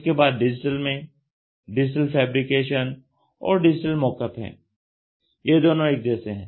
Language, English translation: Hindi, Then the next one is digital fabrication and they also call it as digital mock up